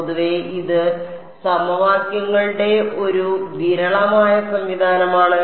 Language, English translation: Malayalam, In general it is a sparse system of equations